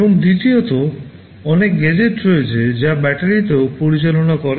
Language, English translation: Bengali, And secondly, there are many gadgets which also operate on battery